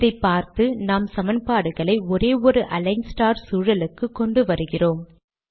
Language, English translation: Tamil, In view of these observations, we put both of these equations into a single align star environment